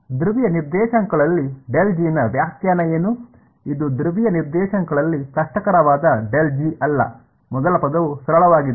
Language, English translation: Kannada, What is the definition of del G in polar coordinates, this one is not that difficult del G in polar coordinates, the first term is simply